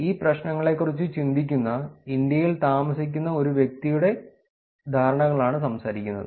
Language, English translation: Malayalam, The perceptions here we are talking about person living in India who is thinking about these problems